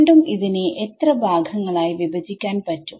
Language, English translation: Malayalam, So, again this I can break up as how many parts